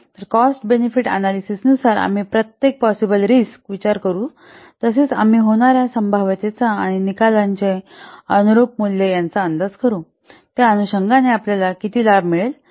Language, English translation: Marathi, So, according to cost benefit analysis, we will consider each possible outcome also will estimate the probability of its occurring and the corresponding value of the outcome, how much benefit we will get the corresponding value